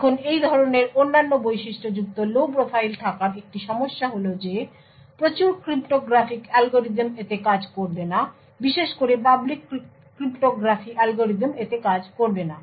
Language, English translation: Bengali, Now a problem with having such other characteristics, low profile is that a lot of cryptographic algorithms will not work on this, especially the public cryptography algorithms will not work on this